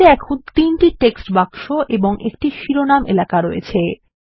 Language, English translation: Bengali, The slide now has three text boxes and a title area